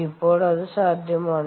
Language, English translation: Malayalam, now, is that possible